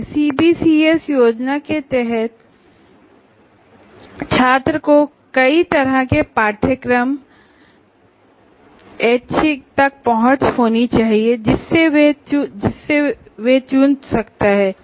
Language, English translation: Hindi, Because now under the CPCS scheme, the students should have access to a wide range of courses from which he can choose and we call them as electives